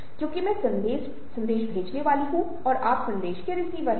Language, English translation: Hindi, i am the speaker and you are the listener